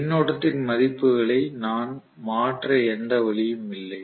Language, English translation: Tamil, So there is no way I can play around with the values of the current